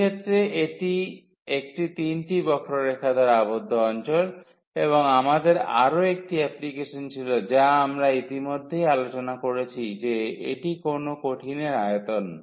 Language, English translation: Bengali, So, in this case it was enclosed by a 3 curves and we had another application which we have already discussed that is the volume of the solid